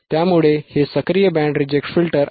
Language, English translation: Marathi, And we will see active band reject filter, what is